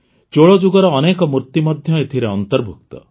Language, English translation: Odia, Many idols of the Chola era are also part of these